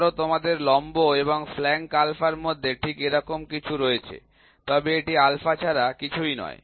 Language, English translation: Bengali, Suppose you have something like this, right between the perpendicular line and the flank alpha it is nothing, but alpha